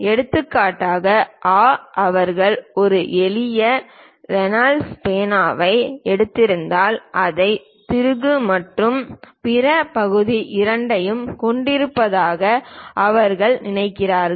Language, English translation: Tamil, For example, ah they ah think what we have taken a simple Reynolds pen, if we are taking it has both the screw and the other part